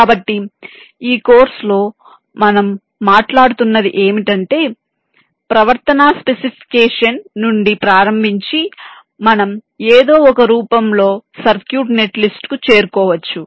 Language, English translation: Telugu, so essentially, what we are talking about in this course is that, starting from the behavior specification, we can arrive at the circuit net list in some form and form the net list